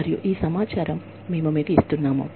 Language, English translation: Telugu, And, we are giving you, all this information